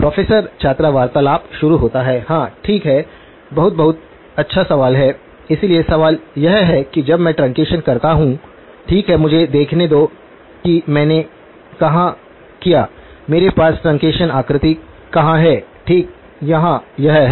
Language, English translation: Hindi, “Professor student conversation starts” Yes, okay, very, very good question, so the question is when I do the truncation, right, let me see where did I; where do I have the truncation figure okay, here it is